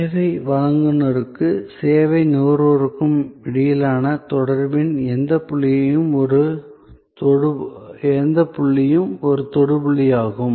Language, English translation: Tamil, So, any point of the contact, between the service provider and the service consumer is a touch point